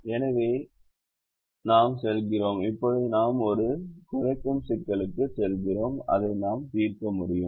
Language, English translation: Tamil, so we go to now we go to a minimization problem which we can solve